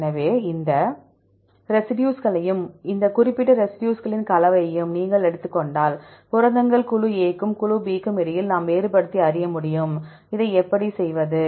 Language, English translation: Tamil, So, if you take these residues and the combination of these specific residues, we can able to distinguish between the proteins group A as well as group B